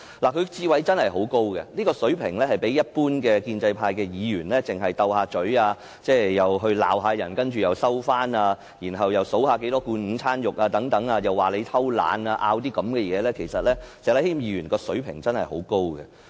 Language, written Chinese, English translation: Cantonese, 他的智慧真的很高，與一般的建制派議員比較，例如那些只懂口舌之爭，罵人之後又收回指責、只會點算有多少罐午餐肉和批評別人躲懶的議員，石禮謙議員的水平真的很高。, Mr Abraham SHEK is really intelligent with a much higher level than other pro - establishment Members such as the Member who quarrelled with others hurled criticism and then withdrew his criticisms; or the Member who only cared about counting the number of cans of luncheon meat or criticizing others for being lazy